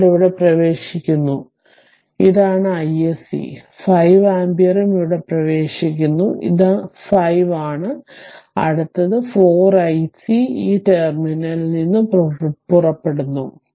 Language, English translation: Malayalam, So, current is entering here this is I s c; 5 ampere is also entering here, this is 5 right and next 4 I s c leaving this terminal